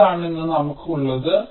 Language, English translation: Malayalam, ok, this is what we have today